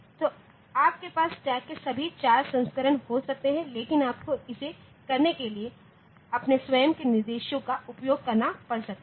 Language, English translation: Hindi, So, you can have all the 4 variants of stack, but you can, so you can you have to use your own instructions for doing it